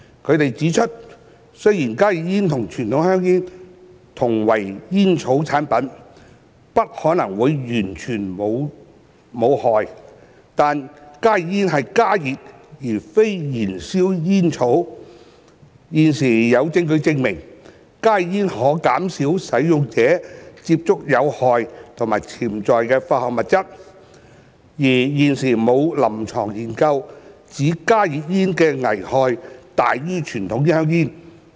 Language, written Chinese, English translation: Cantonese, 他們指出，雖然加熱煙與傳統香煙同為煙草產品，不可能會完全無害，但加熱煙是加熱而非燃燒煙草，現時有證據證明，加熱煙可減少使用者接觸有害及潛在有害化學物質，而現時沒有臨床研究指加熱煙的危害大於傳統香煙。, They have pointed out that while HTPs and conventional cigarettes are both tobacco products which are unlikely to be harmless existing evidence shows that HTPs which heat instead of burn tobacco may reduce users exposure to harmful and potentially harmful chemicals . Besides no empirical studies have suggested that HTPs are more harmful than conventional cigarettes